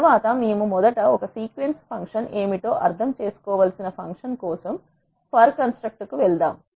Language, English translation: Telugu, Next, we move on to the for construct to understand the for function we need to understand what is a sequence function first